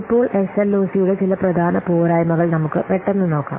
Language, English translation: Malayalam, Now, let's see some of the major shortcomings of LOC